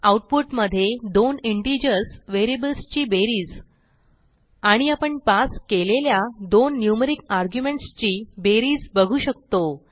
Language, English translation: Marathi, Now Save and Run the program In the output we see the sum of two integers variables, And the sum of two numeric arguments that we passed